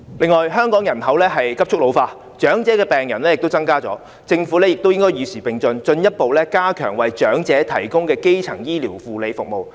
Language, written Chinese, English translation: Cantonese, 此外，香港人口急速老化，長者病人亦有所增加，政府應該與時並進，進一步加強為長者提供的基層醫療護理服務。, Moreover the population in Hong Kong has been ageing rapidly . The number of elderly patients will also increase . The Government should keep abreast of the time and further strengthen primary healthcare and medical services for elderly people